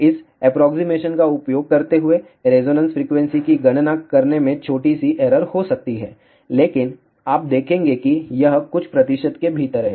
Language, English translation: Hindi, There may be small error in calculating the resonance frequency using this approximation, but you will see that it is within a few percentage